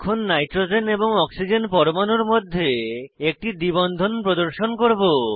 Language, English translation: Bengali, Now we will introduce a double bond between nitrogen and oxygen atom